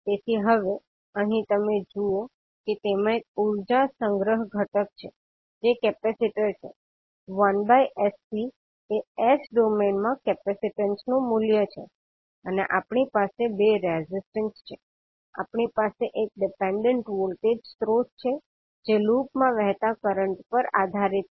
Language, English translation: Gujarati, So now here you see that you have one energy storage component that is capacitor, 1 by sC is the value of the capacitance in s domain and we have 2 resistances we have one dependent voltage source which depends upon the current flowing in the loop